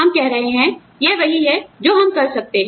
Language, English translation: Hindi, We are saying, this is what, I can do